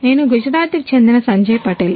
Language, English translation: Telugu, I am Sanjay Patel from Gujrat